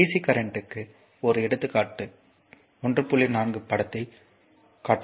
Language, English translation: Tamil, So, and this is a example of dc current, now figure 1